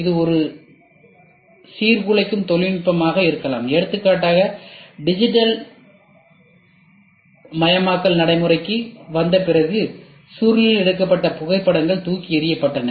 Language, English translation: Tamil, It can be even a disruptive technology; for example, after the digitisation coming into effect the photos which were taken in roles were thrown off